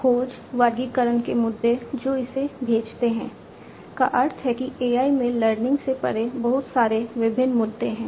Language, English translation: Hindi, Issues of search, classification, these that it sends means there are a lot of, lot of different issues are there beyond learning in AI, right